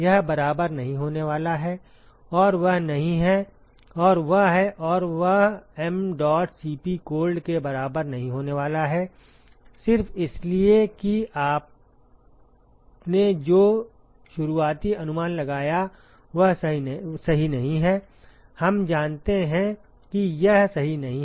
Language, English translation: Hindi, This is not going to be equal to and that is not and that is and that is not going to be equal to mdot Cp cold, simply because the initial guess that you made is not right, we know that it is not right